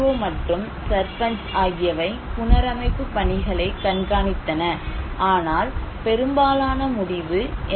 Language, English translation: Tamil, And organizations; NGO and Sarpanch monitored the reconstruction work but majority of the decision was taken by NGO